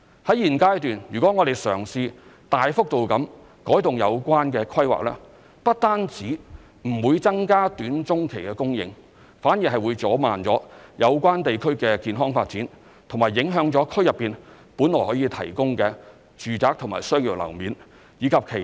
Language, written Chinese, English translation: Cantonese, 在現階段，如果我們嘗試大幅度改動有關規劃，不只不會增加短中期供應，反而會阻慢有關地區健康發展和影響區內本來可以提供的住宅和商業樓面，以及其他的社會設施。, At this stage if we try to significantly alter the planning we will not only fail to increase short - and medium - term supply but also hinder the healthy development of the area and affect residential and commercial floor space and other community facilities that could otherwise be provided